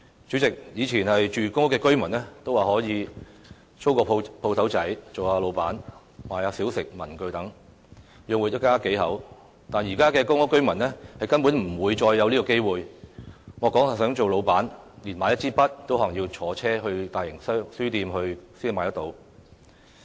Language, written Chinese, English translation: Cantonese, 主席，以前住公屋的居民尚可以租間小商店做做老闆，售賣小食、文具等，養活一家數口；但現時的公屋居民已不再有這機會，莫說是做老闆，就連買一支筆也要乘車到大型書店才買得到。, President in the past residents living in public housing could rent a small shop to carry on a business of selling snacks or stationery to feed the whole family but this is no longer an option for such tenants now . They have to travel to a large - scale bookstore to buy even a pen not to mention becoming a business proprietor